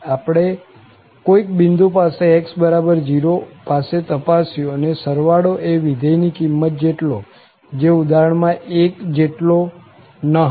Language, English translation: Gujarati, We have checked at some point, at x equal to 0 and the sum was not equal to the function value which was 1 in our example